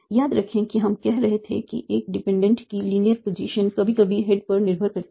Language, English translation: Hindi, Remember if you were saying that the linear position of a dependent sometimes depends on the head